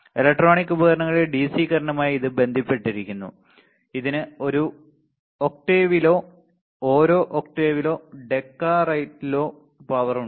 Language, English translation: Malayalam, It is associated with the DC current in electronic devices; it has same power content in an octave or in each octave or decade right